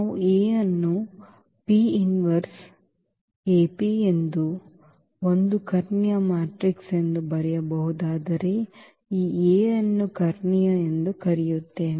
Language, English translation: Kannada, If we can write down this A as this P inverse the P inverse AP is a diagonal matrix then we call that this A is diagonalizable